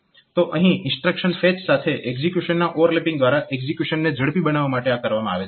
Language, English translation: Gujarati, So, this is done in order to speed up the execution by overlapping the instruction fetch and execution